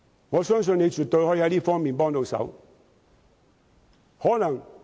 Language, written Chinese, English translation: Cantonese, 我相信司長絕對能在這方面提供協助。, I believe that the Financial Secretary can definitely provide assistance in this regard